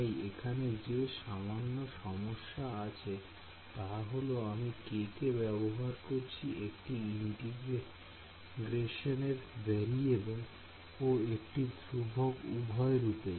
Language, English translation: Bengali, So, the slight the slight problem over here is that I am using k as both a variable of integration and the constant k in the equation